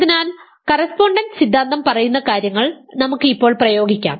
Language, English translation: Malayalam, So, let us now apply what the correspondence theorem says